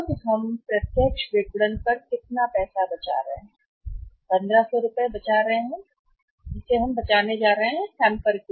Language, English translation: Hindi, When we are going for the direct marketing we are saving how much money that is 1500 rupees we are going to save up on